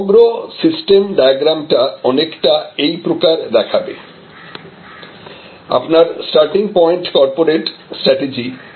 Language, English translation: Bengali, The overall system diagram will look something like this, that your starting point is corporates strategy